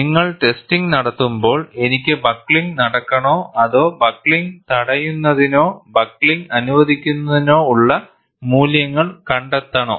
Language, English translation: Malayalam, When you do a testing, should I have buckling to take place or should I find out the values preventing buckling or having the buckling allowed